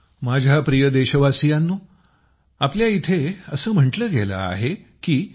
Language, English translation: Marathi, My dear countrymen, we it has been said here